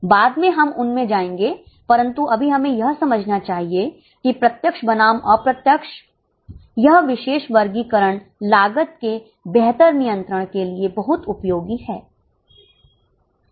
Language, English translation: Hindi, But right now let us understand that this particular classification, direct versus indirect, is very much useful for better control of costs